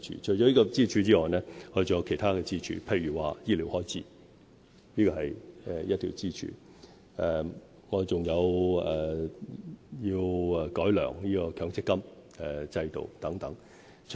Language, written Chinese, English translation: Cantonese, 除這條支柱外，我們還有其他支柱，醫療開支便是另一條支柱；我們亦會改良強積金制度等。, Besides this pillar there are also other pillars such as public health care the refined Mandatory Provident Fund scheme etc